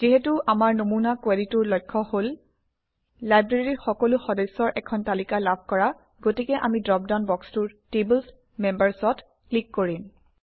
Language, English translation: Assamese, Since our example query is about getting a list of all the members of the Library, we will click on the Tables: Members from the drop down box